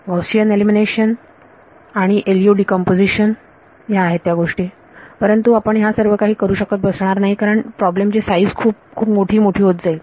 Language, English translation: Marathi, Gaussian elimination and LU decomposition all of those things, but you cannot keep doing this as the size of the problem becomes large and large